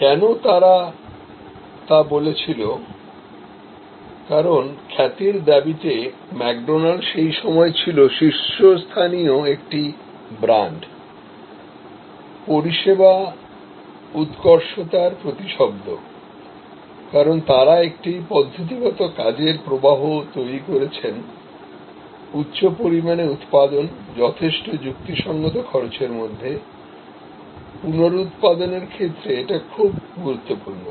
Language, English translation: Bengali, Why did they say that, because the claim to fame or why McDonald was at that time and he is today a top service brand, a synonyms for service excellence is because, they have worked out a systematic work flow, high volume production at reasonably low cost, very important with the idea of reproducibility